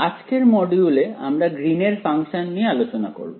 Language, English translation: Bengali, So, today’s module, we will talk about Greens functions